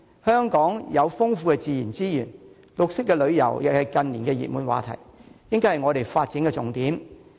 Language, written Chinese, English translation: Cantonese, 香港有豐富的自然資源，綠色旅遊亦是近年的熱門話題，應作為發展的重點。, Hong Kong has rich natural resources and green tourism which has been the talk of the town in recent years should be made a key area for development